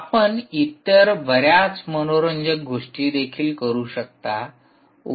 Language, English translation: Marathi, you can do several other interesting things as well, ah